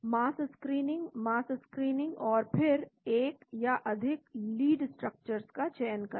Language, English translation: Hindi, Mass screening, mass screening and then select one or more lead structures